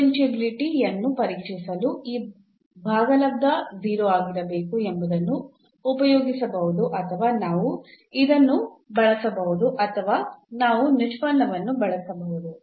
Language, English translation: Kannada, So, we can use either this one to test the differentiability that this quotient must be 0 or we can use this one or we can use the derivative one